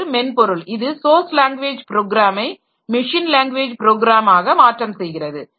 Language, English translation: Tamil, So, there is a piece of software which translates my source language program into machine language program